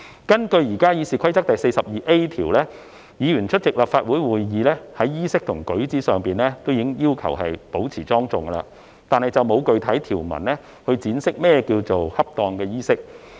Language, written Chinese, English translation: Cantonese, 根據現時《議事規則》第 42a 條，議員出席立法會會議在衣飾及舉止上已要求保持莊重，但沒有具體條文闡釋甚麼是恰當衣飾。, Rule 42a of the existing Rule of Procedures provides that all Members shall attend meetings of the Council properly attired and with decorum . However there were no explicit provisions to prescribe the proper dress code